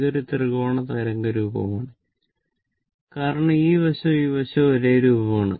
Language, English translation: Malayalam, So, it is a symmetrical waveform this is a triangular wave form this is a triangular wave form